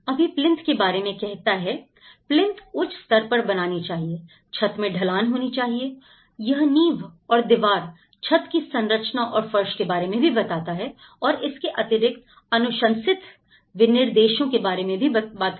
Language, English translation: Hindi, Now, it says about the plinth; the high plinth design and a sloped roof, it also talks about the foundations and the wall, wall finish, plain roof structure and the floor and it’s all talking about the recommended specifications of it